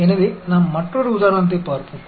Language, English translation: Tamil, So, let us look at another example